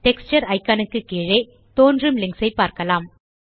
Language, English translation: Tamil, Just below the Texture icon, we can see the links displayed